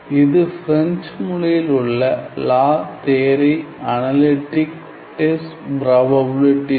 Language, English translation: Tamil, So, it is a broke book in French La Theorie Analytique des probabilities